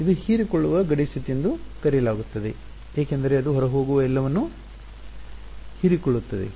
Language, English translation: Kannada, It is called absorbing boundary condition because it appears as what is absorbing everything that is going out